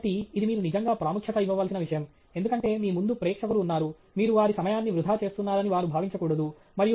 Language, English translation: Telugu, So, that’s something that you really have to pay importance to, because you have an audience in front of you, you don’t want them to feel that, you know, you are just wasting their time